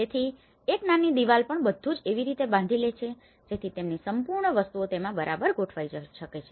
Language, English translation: Gujarati, So, even a small wall makeup itself frames everything that their whole products can fit within it